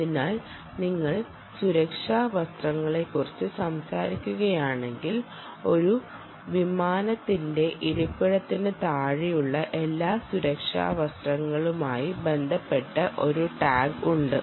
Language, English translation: Malayalam, so if you talk about safety vests, there is a tag associated with every safety vest which is below the seat of an aircraft